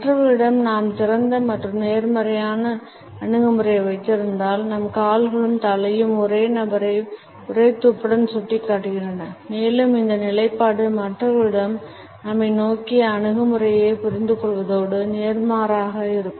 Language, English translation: Tamil, If we hold and open and positive attitude towards other people, our feet our head and torso points to the same person in a single clue and this position gives us an understanding of the attitude of other people towards us and vice versa